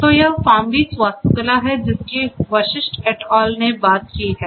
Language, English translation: Hindi, So, this is this FarmBeats architecture that they talked about Vashisht et al